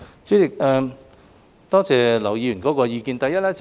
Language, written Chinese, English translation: Cantonese, 主席，多謝劉議員的意見。, President I thank Mr LAU for his views